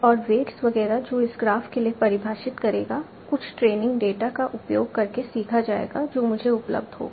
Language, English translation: Hindi, that will be defined for this graph will be learned by using some training data that is available to me